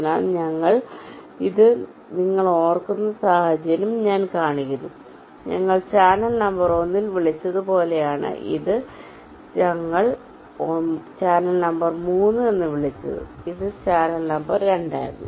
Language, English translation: Malayalam, so i am just showing the scenario where you recall this we are, we have called as in channel number one and this we have called as channel number three and this was channel number two